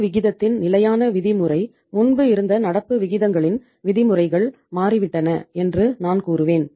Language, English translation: Tamil, Standard norm of the current ratio which was earlier uh I would say that the norms of the say current ratios have changed